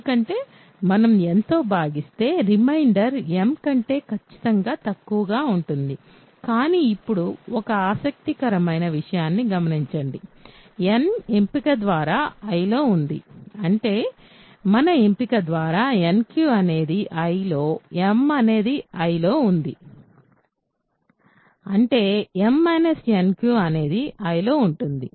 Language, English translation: Telugu, Because, we are dividing by n the remainder will be strictly less than m; but now notice an interesting thing, n is in I by choice; that means, nq is in I, m is in I, by also choice right; that means, m minus nq is n I